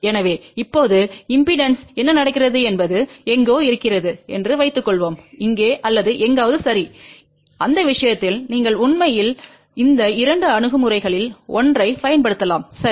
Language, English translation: Tamil, So, now, suppose what happens in the impedance is somewhere here or somewhere here ok, in that case you can actually use either of these two approaches ok